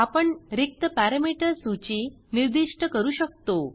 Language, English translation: Marathi, We can specify an empty parameter list